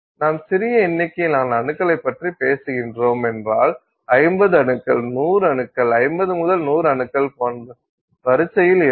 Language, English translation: Tamil, So, if you are talking of a small number of atoms, so of the order of 50 atoms, 100 atoms, 50 to 100 atoms, something like that